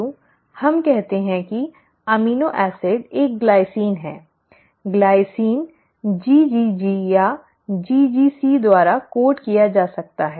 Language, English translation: Hindi, So let us say the amino acid is a glycine, the glycine can be coded by GGG or GGC